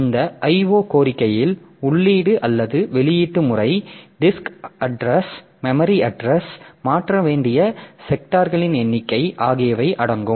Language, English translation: Tamil, O request it includes input or output mode, disk address, memory address, number of sectors to transfer